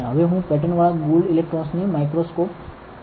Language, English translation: Gujarati, Now, I am transferring the patterned gold electrodes onto the microscope